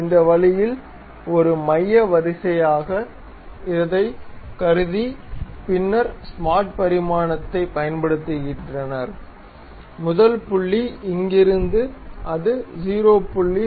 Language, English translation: Tamil, So, let us consider a center line in this way and use smart dimension from here to that first point it is 0